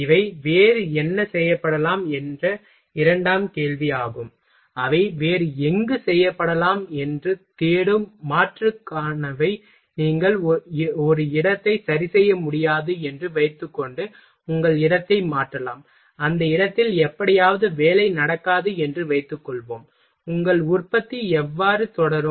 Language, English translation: Tamil, These are the secondary question what else might be done, they are for alternative looking for where else might it be done, you can change your place suppose that you cannot fix in a one place suppose that in a that place somehow work is not going on then how your production is will be continue